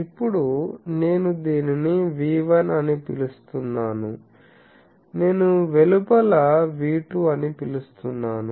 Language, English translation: Telugu, Now, this one I am calling V1 outside, I am calling V2